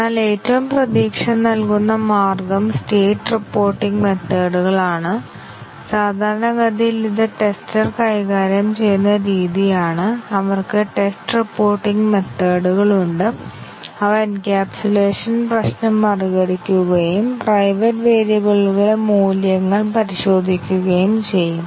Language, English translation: Malayalam, But the most promising way is the state reporting methods and normally this is the way encapsulation is handled by the testers, they have state reporting methods and they overcome the encapsulation problem and can check the values of the private variables